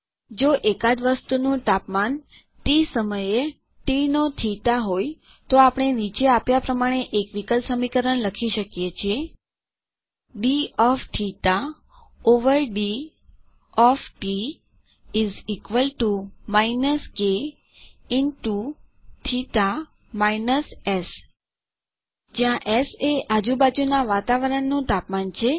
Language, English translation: Gujarati, If theta of t is the temperature of an object at time t, then we can write a differential equation: d of theta over d of t is equal to minus k into theta minus S where S is the temperature of the surrounding environment